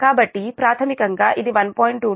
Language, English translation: Telugu, so this is actually